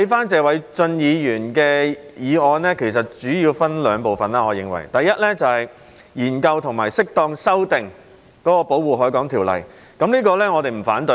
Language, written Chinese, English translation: Cantonese, 謝偉俊議員的議案主要分為兩部分，第一部分是研究及適當修訂《保護海港條例》，我們對此並不反對。, Mr Paul TSEs motion is mainly divided into two parts . The first part is about examining and appropriately amending the Protection of the Harbour Ordinance to which we have no objection